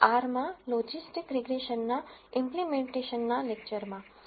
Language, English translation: Gujarati, Welcome to the lecture of Implementation of Logistic Regression in R